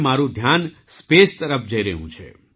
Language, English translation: Gujarati, Now my attention is going towards space